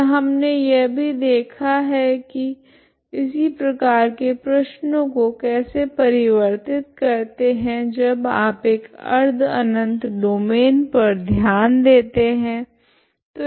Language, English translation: Hindi, And we also have seen how to reduce same problems in a same problem but when you consider a semi infinite domain